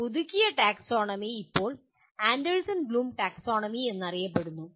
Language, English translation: Malayalam, And this revised taxonomy is now referred to as Anderson Bloom Taxonomy